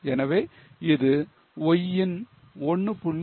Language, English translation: Tamil, So, it is 1